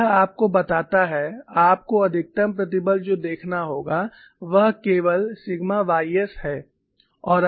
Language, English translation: Hindi, So, that tells you the maximum stress that you will have to look at is only sigma y s